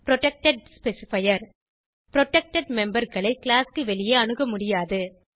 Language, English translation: Tamil, Protected specifier Protected members cannot be accessed from outside the class